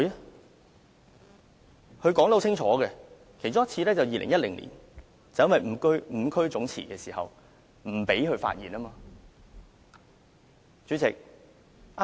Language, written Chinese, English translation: Cantonese, 她說得很清楚，其中一次是2010年五區總辭的時候，建制派不想讓民主派議員發言。, She clearly said that one attempt was made in 2010 when Members returned from five geographical constituencies resigned en masse . As the pro - establishment camp did not want to let pro - democracy Members speak it aborted the meeting